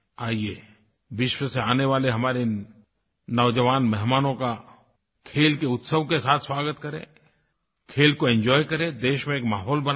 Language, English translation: Hindi, Come, let's welcome the young visitors from all across the world with the festival of Sports, let's enjoy the sport, and create a conducive sporting atmosphere in the country